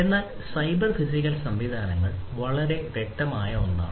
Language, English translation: Malayalam, But cyber physical systems is something that the scope is very clear